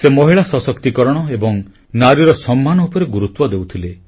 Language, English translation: Odia, He stressed on women empowerment and respect for women